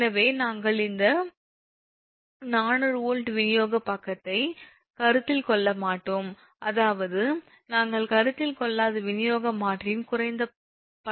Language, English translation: Tamil, so what we will do will not consider this distribution side, because four hundred volt side we will not consider, i mean low tension side of the distribution transformer